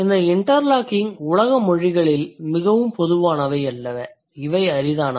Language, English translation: Tamil, These interlocking ones are not much common in world's languages